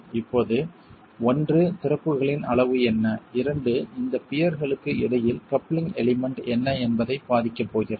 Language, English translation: Tamil, Now, one, it is going to be affected by what is the size of the openings and two, what is the coupling element between these piers